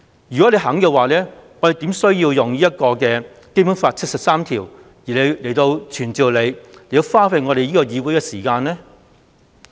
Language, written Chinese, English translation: Cantonese, 如果她願意這樣做，我們怎麼會建議根據《基本法》第七十三條傳召她，花費議會時間呢？, If she had agreed to do all this how would we have proposed to spend the precious time of the legislature on summoning her under Article 73 of the Basic Law?